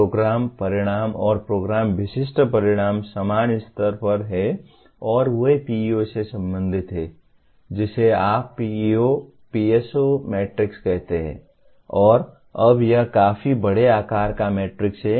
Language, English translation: Hindi, And now Program Outcomes and Program Specific Outcomes are at the same level and they get related to PEOs through what you call PEO PSO matrix and now this is a fairly large size matrix